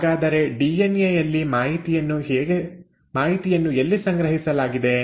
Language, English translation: Kannada, So how is it that, where is it in a DNA that the information is stored